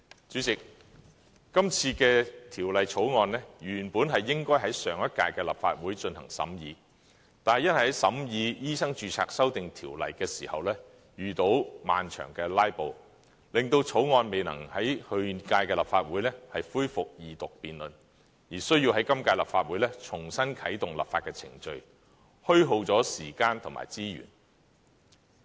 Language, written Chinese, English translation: Cantonese, 主席，今次的《條例草案》，原本應該在上一屆的立法會進行審議，但因在審議《2016年醫生註冊條例草案》時遇到漫長的"拉布"，令2014年《條例草案》未能在去屆立法會恢復二讀辯論，而需在今屆立法會重新啟動立法程序，虛耗了時間和資源。, President this Bill should have been deliberated at the last term of the Legislative Council but due to prolonged filibustering during the deliberation of the Medical Registration Amendment Bill 2016 the Second Reading of the Bill introduced in 2014 was unable to be resumed at the last term of the Council . The legislative process reactivated at the current term of the Council has incurred a waste of time and resources